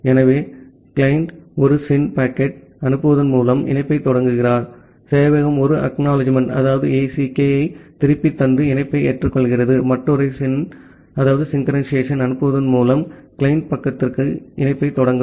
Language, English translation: Tamil, So, the client initiates the connection by sending a SYN packet, the server accept the connection by returning back an ACK; and also initiating the connection to the client side by sending another SYN